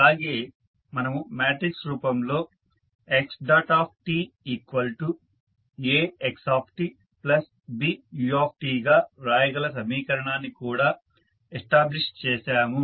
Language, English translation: Telugu, And, we also stabilized that the equation you can write in the matrix form as x dot is equal to ax plus bu